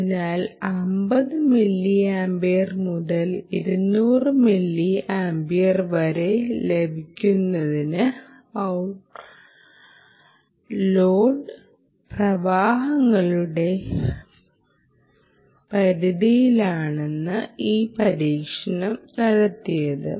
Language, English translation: Malayalam, so these experiment was conducted over range of in ah out load currents starting from fifty milliampere to two hundred